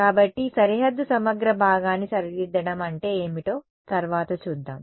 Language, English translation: Telugu, So, next we will see what is the just revise the boundary integral part ok